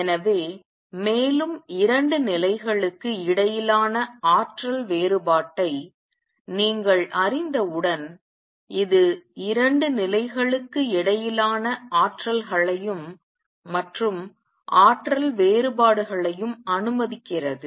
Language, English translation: Tamil, So, this let to energies and energy differences between 2 levels and once you know the energy difference between the 2 levels